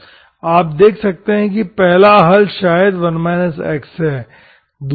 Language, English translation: Hindi, you may see that 1st solution maybe 1 minus x